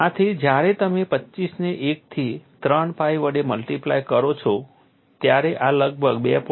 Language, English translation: Gujarati, So, when you multiply 25 into 1 by 3 pi, this has been approximated as 2